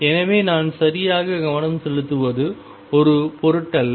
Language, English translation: Tamil, So, it does not matter all I focus on right